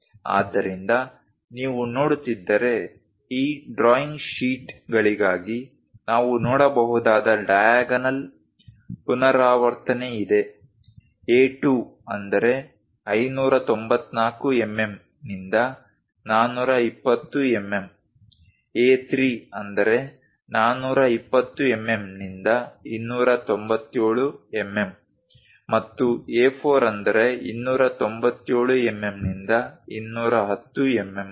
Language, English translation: Kannada, So, if you are seeing, there is a diagonal repetition we can see for this drawing sheets; A2 594 to 420, A3 420 to 297, and A4 297 to 210